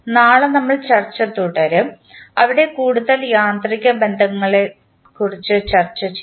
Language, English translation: Malayalam, We will continue our discussion tomorrow where, we will discuss about the further mechanical relationship